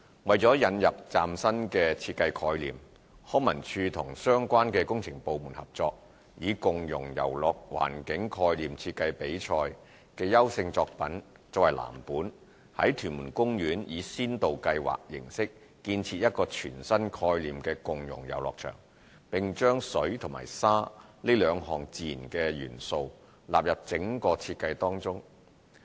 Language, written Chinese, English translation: Cantonese, 為了引入嶄新設計概念，康文署與相關工程部門合作，以"共融遊樂環境概念設計比賽"的優勝作品為藍本，在屯門公園以先導計劃形式建設一個全新概念的共融遊樂場，並將"水"和"沙"兩項自然的元素納入整個設計中。, To usher in brand new design concepts LCSD in collaboration with the relevant works departments adopted the winning design of the Inclusive Play Space Design Ideas Competition as a prototype to build an innovative inclusive playground in Tuen Mun Park as part of a pilot scheme with inclusion of two natural elements of water and sand in the design